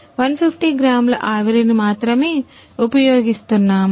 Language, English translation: Telugu, We are using only 150 gram steam